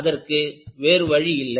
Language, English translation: Tamil, There is no other go